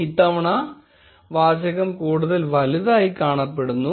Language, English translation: Malayalam, This time the text does look bigger